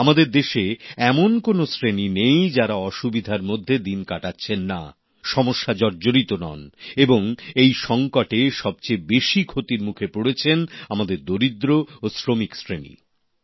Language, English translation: Bengali, There is no stratum in our country unaffected by the difficulties caused by the afflictionthe most gravely affected by the crisis are the underprivileged labourers and workers